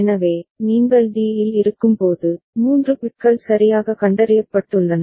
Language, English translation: Tamil, So, when you are at d that means, 3 bits have been detected properly ok